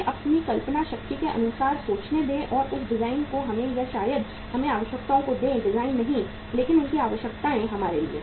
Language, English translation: Hindi, Let him think according to his imagination power and give that design to us or maybe the requirements to us; not design but their requirements to us